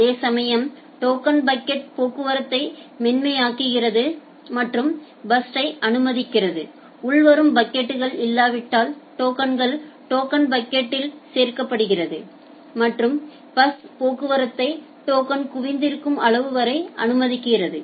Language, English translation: Tamil, Whereas, token bucket it smooth out traffic and also permit burstiness if there is no incoming packet tokens are get added to the in the token bucket and the bus traffic is permitted up to the amount of token that has been accumulated